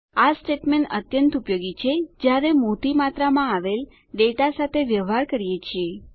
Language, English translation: Gujarati, These statements are very useful when dealing with large amounts of data